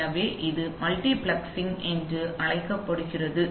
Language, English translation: Tamil, So this is called multiplexing